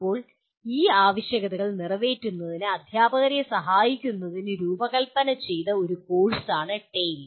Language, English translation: Malayalam, Now, TALE is a course that is designed to facilitate teachers to meet these requirements